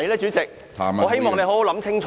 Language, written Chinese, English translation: Cantonese, 主席，我希望你想清楚。, President I hope you can think more carefully